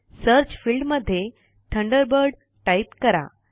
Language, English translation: Marathi, In the Search field, that appears, type Thunderbird